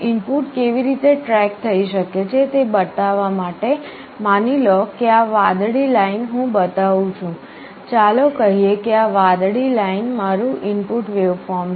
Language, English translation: Gujarati, To show how the input can track, suppose this blue line I am showing, this blue line let us say is my input waveform